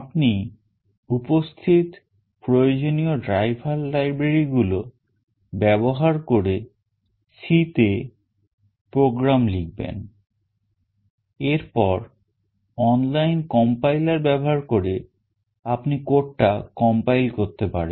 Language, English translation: Bengali, Once you write the program in C using necessary driver libraries those are present, you can use the online compiler to compile the code